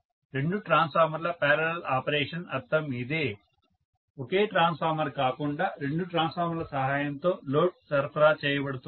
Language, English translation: Telugu, This is what we mean by parallel operation of two transformers, right so together the load is being supplied with the help of two transformers, not a single transformer